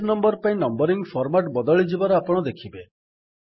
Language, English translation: Odia, You see that the numbering format changes for the page